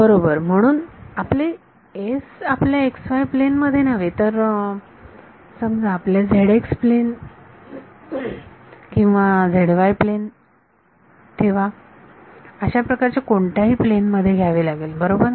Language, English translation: Marathi, Right so, there we will have to take our s not in the xy plane, but will have to take it in let say the your zx plane or zy plane or something like that right